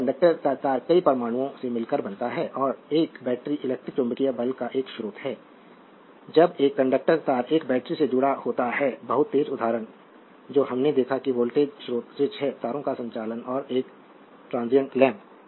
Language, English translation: Hindi, So, conductor conducting wire consist of several atoms and a battery is a source of electrometric force, when a conducting wire is connected to a battery the very fast example what we saw that voltage source is switch, conducting wires and a transient lamp right